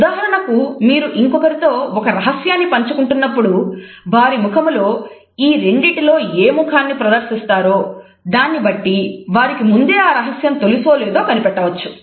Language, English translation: Telugu, If you are asking someone about a secret and they show either one of these faces, you can find out if they already knew